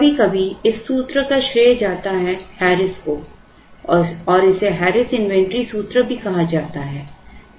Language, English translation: Hindi, Sometimes this formula is also credited the credit goes to Harris it is also called Harris inventory formula